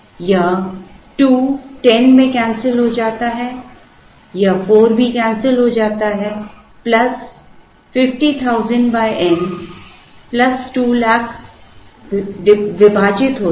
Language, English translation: Hindi, This 2 gets cancelled into 10, this 4 also gets cancelled plus 50,000 divided by n plus 200,000 divided by